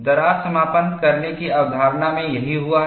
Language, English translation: Hindi, That is what happened in crack closure concept